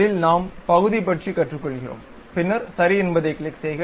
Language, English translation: Tamil, In that we are learning about Part, then click Ok